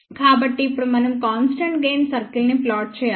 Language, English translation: Telugu, So, now we have to plot the constant gain circle